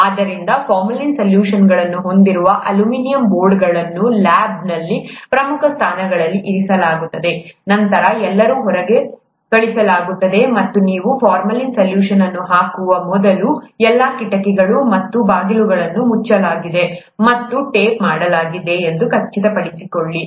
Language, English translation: Kannada, So these aluminum boards containing formalin solutions are placed in key positions in the lab, then everybody is sent out, and before you place the formalin solution, make sure that it is made sure that all the windows and doors are shut and taped so that no vapor escapes out, because this vapor is poisonous